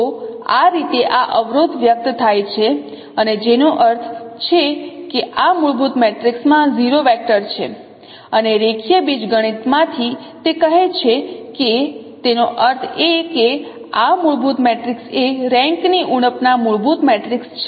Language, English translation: Gujarati, So this is how this constraint is expressed and which means that this fundamental matrix has a 0 vector and from the linear algebra it says that that means this fundamental matrix is a rank deficient fundamental matrix